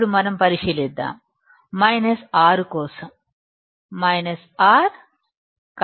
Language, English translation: Telugu, Now let us consider minus 6, for minus 6 current is 0